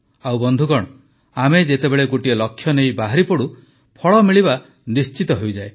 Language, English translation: Odia, And friends, when we set out with a goal, it is certain that we achieve the results